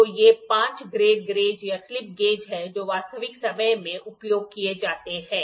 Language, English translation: Hindi, So, these are the 5 grades gauges grades or slip gauges which are used in real time